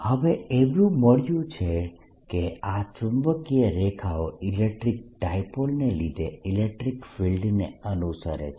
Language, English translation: Gujarati, what is found is that these magnetic lines pretty much follow the same pattern as the field due to an electric dipole